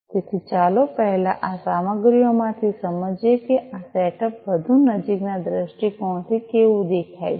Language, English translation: Gujarati, So, first let us go through these materials to understand, how this setup looks like from a much closer viewpoint